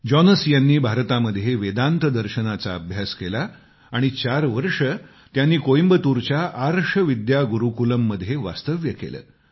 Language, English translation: Marathi, Jonas studied Vedanta Philosophy in India, staying at Arsha Vidya Gurukulam in Coimbatore for four years